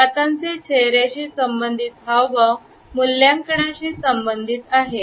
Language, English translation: Marathi, Similarly, we find that hand to face gestures are associated with evaluation